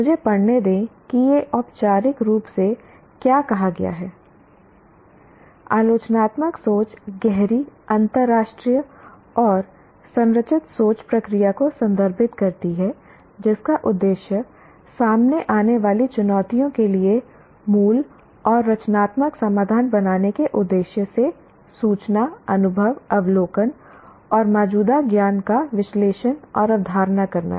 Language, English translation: Hindi, Critical thinking refers to the deep, intentional, and structured thinking process that is aimed at analyzing and conceptualizing information, experiences, observation, and existing knowledge for the purpose of creating original and creative solutions for the challenges encountered